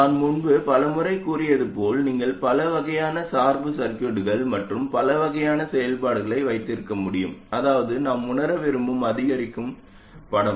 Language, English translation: Tamil, Like I have said many times before you can have many different kinds of bias circuits and many different kinds of functions, that is the incremental picture that we want to realize